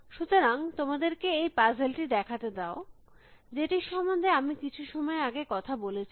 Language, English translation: Bengali, So, let me show you this puzzle, which I might have spoken about some time ago